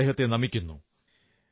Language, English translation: Malayalam, I salute him